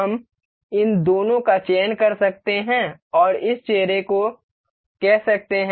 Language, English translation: Hindi, You can select these two and say this face